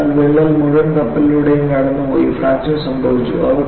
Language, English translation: Malayalam, So, the crack has gone through the full shape and fracture occurred